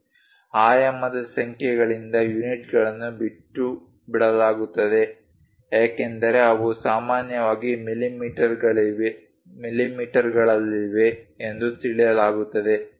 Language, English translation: Kannada, Units are omitted from the dimension numbers since they are normally understood to be in millimeters